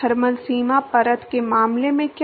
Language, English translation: Hindi, What about in the case of thermal boundary layer